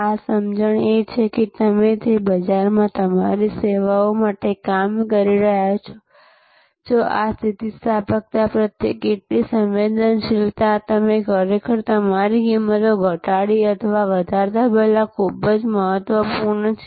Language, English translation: Gujarati, This is this understanding that whether the market in which you are operating for your services, how sensitivities to this elasticity is very important before you actually either reduce or increase your prices